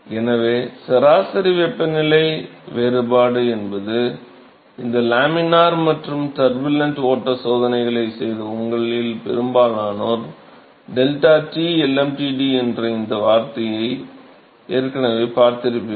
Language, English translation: Tamil, So, log mean temperature difference is what most of you who have done this laminar and turbulent flow experiments, you would have already encountered this term called deltaT lmtd